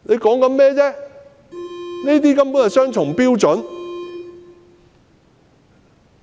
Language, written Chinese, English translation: Cantonese, 根本是雙重標準。, Downright double standards